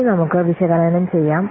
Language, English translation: Malayalam, Now let's analyze